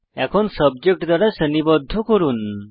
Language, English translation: Bengali, Now, lets sort by Subject